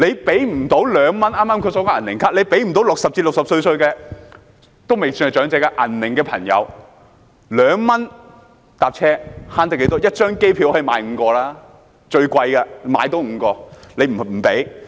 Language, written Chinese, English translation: Cantonese, 剛才提及"銀齡卡"，政府無法為60至64歲的人士——未算長者的"銀齡"朋友——提供2元乘車優惠，這樣可以節省多少呢？, Regarding the silver age card mentioned earlier the Government cannot offer the 2 fare concession to those aged between 60 and 64 who are not considered elderly